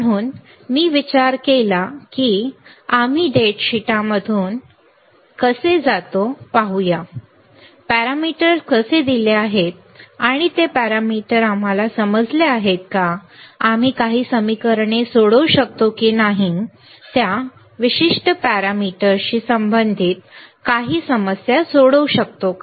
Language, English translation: Marathi, So, I thought of how we go through the data sheet and let us see, how are what are the parameters given and whether we understand those parameter, whether we can solve some equations solve some problems regarding to that particular parameters right